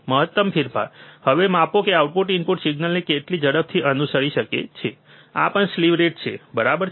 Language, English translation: Gujarati, Maximum change, now measure of how fast the output can follow the input signal, this is also the slew rate all, right